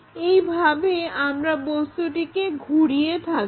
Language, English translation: Bengali, This is the way we re rotate that object